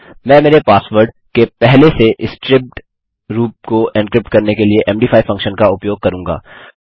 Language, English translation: Hindi, I will use the md5 Function to encrypt the already striped version of my password